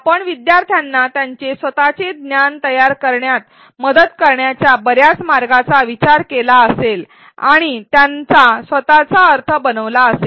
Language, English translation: Marathi, You may have thought of a number of ways to help learners construct their own knowledge and make their own meaning